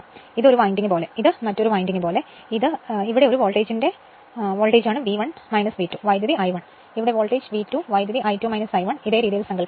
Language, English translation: Malayalam, As if this is one winding, as if this is another winding; I mean it is like this, it is like this and here it is voltage for this one voltage is your V 1 minus V 2 and current is your I 1 and here voltage is V 2 current is I 2 minus I 1 this way imagine right